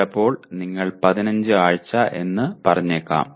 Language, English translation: Malayalam, Sometimes you may have let us say 15 weeks